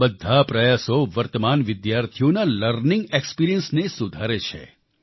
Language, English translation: Gujarati, All of these endeavors improve the learning experience of the current students